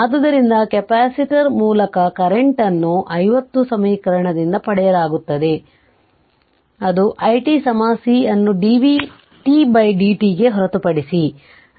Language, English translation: Kannada, So, current through the capacitor is obtained from equation 50, that is nothing but i t is equal to C into dv by dt